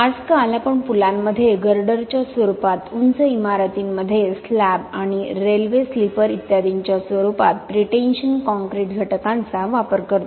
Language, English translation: Marathi, Nowadays we use lot of pretension concrete members in bridges in the form of girders, high rise buildings in the form of slabs and railway sleepers etc